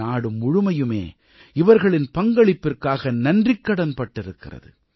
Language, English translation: Tamil, The country is indeed grateful for their contribution